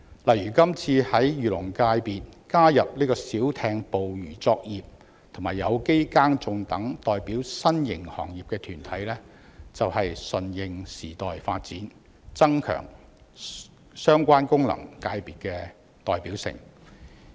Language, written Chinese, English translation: Cantonese, 例如，今次在漁農界功能界別加入小艇捕魚作業及有機耕種等代表新型行業的團體，便是順應時代發展，增強相關功能界別的代表性。, For example the inclusion of organizations representing newly emerged industries such as organic farming and small boat fishing operations in the Agriculture and Fisheries FC is a move that adapts to changing times and enhances the representativeness of the FC concerned